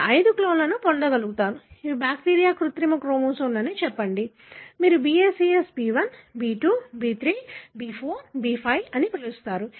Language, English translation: Telugu, You are able to get five clones, say these are bacterial artificial chromosomes; so, therefore you call as a BACS B1, B2, B3, B4, B5